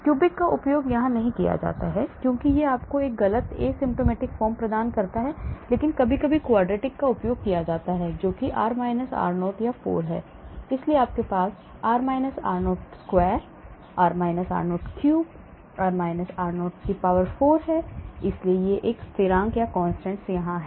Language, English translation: Hindi, Cubic is not used because it gives you a wrong asymptomatic form, but sometimes quartic is also used, that is r – r0 or 4, so you may have r – r0 square, r – r0 cube, r – r0 power 4, so you have many, many, many constants coming here